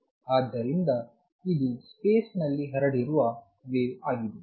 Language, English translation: Kannada, So, this is a wave which is spread over space